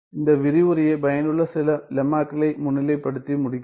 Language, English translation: Tamil, Let me just wrap up this lecture by highlighting few of the lemmas that are useful